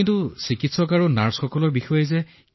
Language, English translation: Assamese, But the doctors and nurses there…